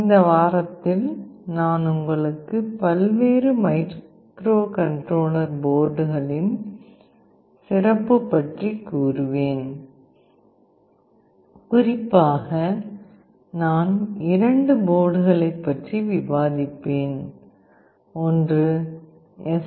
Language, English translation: Tamil, In this week I will take you to a tour of various Microcontroller Boards and specifically I will be discussing about two boards; one is STM board and another is Arduino board